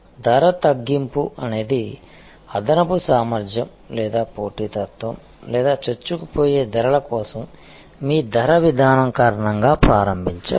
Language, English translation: Telugu, Price cut can be initiated due to excess capacity or competition or your pricing policy for penetrative pricing